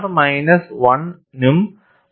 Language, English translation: Malayalam, R lies between minus 1 and 0